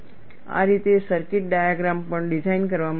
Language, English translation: Gujarati, That is how, even the circuit diagram is designed